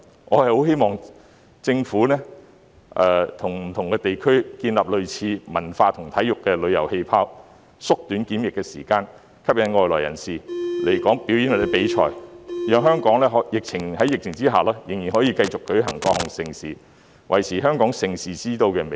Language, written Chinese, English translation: Cantonese, 我很希望政府會與不同地區建立類似的"文化和體育旅遊氣泡"，縮短檢疫時間，吸引外來人士來港表演或比賽，讓香港在疫情下仍然可以舉行各項盛事，維持香港盛事之都的美譽。, I very much hope that the Government will establish similar cultural and sports travel bubbles with different regions and shorten the quarantine period to attract foreigners to come to Hong Kong to stage performances or participate in competitions so that Hong Kong can still organize various events under the epidemic and maintain its reputation as the Events Capital